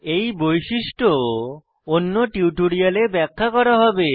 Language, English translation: Bengali, This feature will be explained in detail in another tutorial